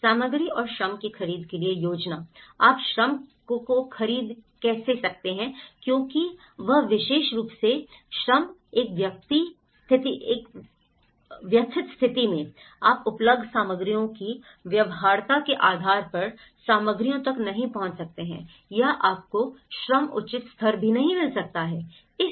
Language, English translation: Hindi, Planning for the procurement of materials and labour; how do you procure labour because this particular labour in especially, in a distressed conditions, you may not be able to access the materials as well depending on the feasibilities of the available materials or you may not even get the labour appropriate level